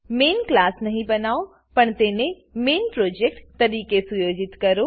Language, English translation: Gujarati, Dont create a main class but set it as the main project